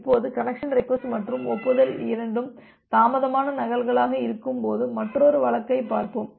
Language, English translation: Tamil, Now, let us look into another case when both the connection request and the acknowledgement are delayed duplicates